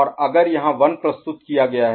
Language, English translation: Hindi, And if 1 1 is presented right